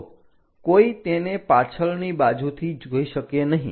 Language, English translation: Gujarati, One can look from back also